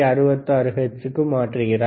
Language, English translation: Tamil, 66 hertz right